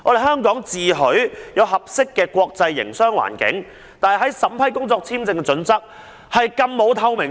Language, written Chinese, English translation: Cantonese, 香港自詡具備合適的國際營商環境，但審批工作簽證的準則卻極欠透明度。, While Hong Kong boasts about its suitable environment for international trade its criteria for vetting and approving visas have been far from transparent